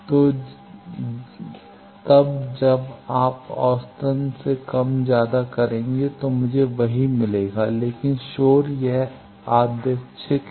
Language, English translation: Hindi, So, then when you average more or less I will get the same thing, but noise it is random